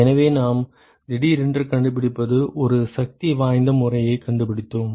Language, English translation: Tamil, So, what we have suddenly found we have found a powerful method